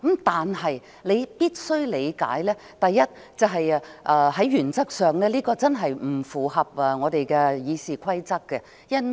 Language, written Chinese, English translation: Cantonese, 但是，你必須理解，第一，這在原則上真的不符合《議事規則》。, However you must understand that firstly this is truly out of order in principle